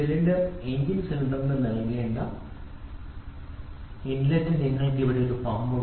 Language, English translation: Malayalam, So, the inlet which is to be given to the cylinder engine cylinder you have a pump which is there